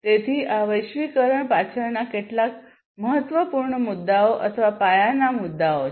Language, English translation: Gujarati, So, these are some of the important issues or the cornerstones behind globalization